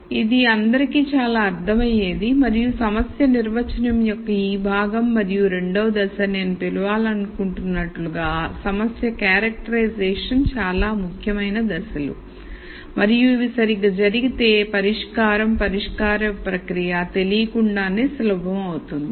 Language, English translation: Telugu, So that it is very very understandable to everyone and this part of problem definition and the second step which is what I want to call as problem characterization are very important steps and in fact, if these are done properly then the solution, uncovering the solution process, becomes easier